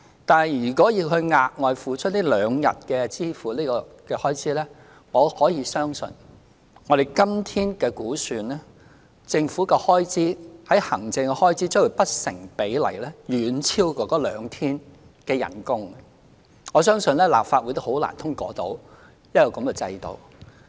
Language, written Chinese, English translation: Cantonese, 但是，如果要額外支付這兩天的開支，我可以相信，以今天的估算，政府的行政開支將會不成比例地遠超該兩天的薪酬，我相信立法會很難通過這樣的制度。, Yet if the additional cost incurred for the two extra days of paternity leave is to be met by the Government the administrative costs involved calculated on the basis of todays estimate will disproportionately exceed the wages of the two extra days of leave and hence in my opinion the Legislative Council will hardly approve the system